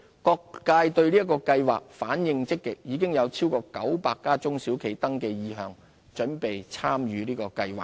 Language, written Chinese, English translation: Cantonese, 各界對計劃反應積極，已有超過900家中小企登記意向，準備參與計劃。, Response has been encouraging with more than 900 SMEs having already registered their intention to participate in the programme